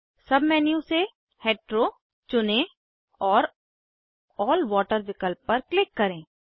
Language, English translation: Hindi, From the sub menu,choose Heteroand click on All Water option